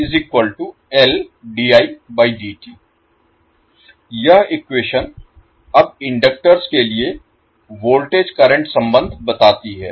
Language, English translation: Hindi, So this particular equation now tells the voltage current relationship for the inductors